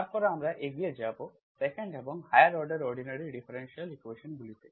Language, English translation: Bengali, In the 2nd model then we will move onto, 2nd and higher order ordinary differential equations